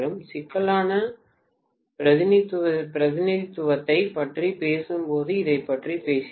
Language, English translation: Tamil, We talked about this when we were talking about complex representation